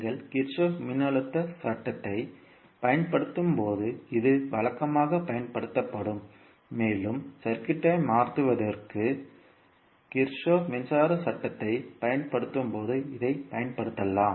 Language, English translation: Tamil, This would be usually utilized when you are using the Kirchhoff voltage law and this can be utilized when you are utilizing Kirchhoff current law for converting the circuits